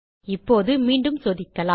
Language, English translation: Tamil, Now Ill test this again